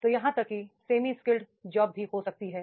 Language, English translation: Hindi, So there can be even the same skill jobs